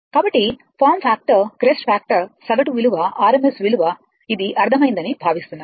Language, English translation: Telugu, So, form factor case factor average value rms value, I think it is understandable to you right